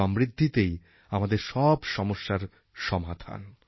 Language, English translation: Bengali, Development is the key to our problems